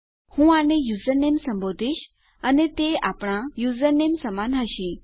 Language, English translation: Gujarati, Ill call it username and that will be equal to our username